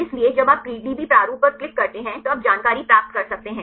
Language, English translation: Hindi, So, when you click on the PDB format, you can get to the information